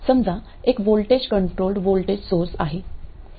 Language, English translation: Marathi, Let's say voltage controlled voltage source